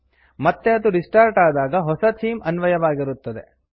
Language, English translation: Kannada, When it restarts, the new themes is applied